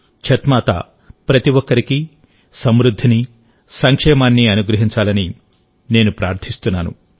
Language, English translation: Telugu, I pray that Chhath Maiya bless everyone with prosperity and well being